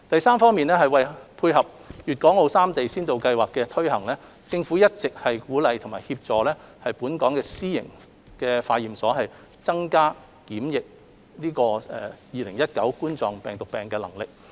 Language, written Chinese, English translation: Cantonese, 三為配合粵港澳三地先導計劃的推展，特區政府一直鼓勵和協助本港私營化驗所增加檢測2019冠狀病毒病的能力。, 3 To dovetail the pilot scheme among Guangdong Hong Kong and Macao the HKSAR Government has been encouraging and helping local private laboratories to enhance their testing capabilities for COVID - 19